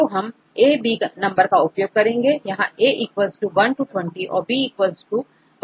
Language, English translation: Hindi, So, we use these numbers a,b right where a = 1 to 20 and b also varies from 1 to 20